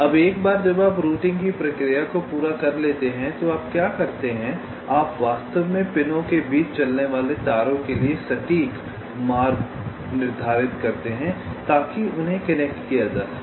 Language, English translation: Hindi, now, once you complete the process of routing, what you do is that you actually determine the precise paths for the wires to run between the pins so as to connect them